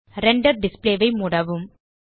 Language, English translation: Tamil, Close the Render Display